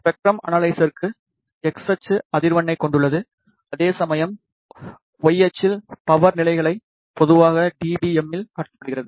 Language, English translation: Tamil, For the spectrum analyzer X axis consists of frequency whereas, the Y axis displays the power levels typically in DBM